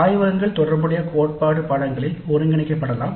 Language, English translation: Tamil, The laboratories may be integrated into corresponding theory courses